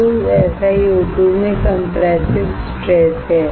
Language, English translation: Hindi, So, SiO2 has compressive stress